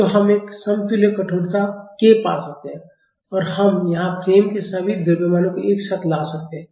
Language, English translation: Hindi, So, we can find an equivalent stiffness k and we can lump all the masses of the frame here